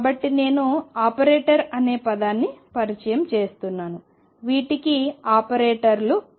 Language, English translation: Telugu, So, I am introducing a term called operator these are known as operators